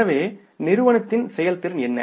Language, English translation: Tamil, So, what was the performance of the company